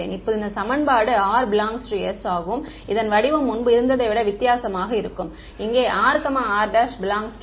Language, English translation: Tamil, Now, in this equation when r is in capital S, the kind the form of this is going to be different than what it was over here r and r prime both belong to D